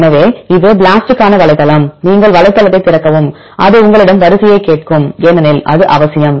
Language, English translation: Tamil, So, this is the website for the BLAST, and if you open the website it will ask you for the sequence and because that is essential